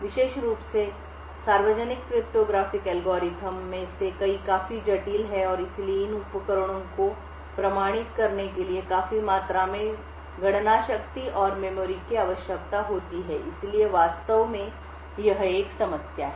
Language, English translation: Hindi, Several of especially the Public cryptographic algorithms quite complex and therefore would require considerable amount of compute power and memory in order to execute therefore authenticating these devices is actually a problem